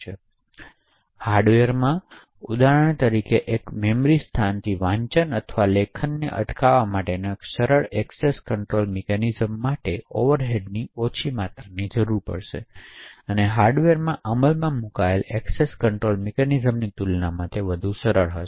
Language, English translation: Gujarati, So, in hardware for example a simple access control mechanism to prevent say reading or writing from one memory location would require far less amounts of overheads and far more simple compare to the access control mechanisms that are implemented in the hardware